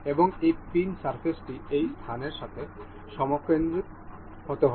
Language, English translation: Bengali, And this pin surface has to be concentric concentric with this space